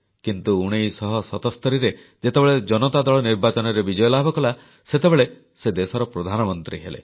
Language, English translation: Odia, But when the Janata Party won the general elections in 1977, he became the Prime Minister of the country